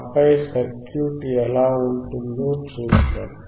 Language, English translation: Telugu, And then we will see how the circuit looks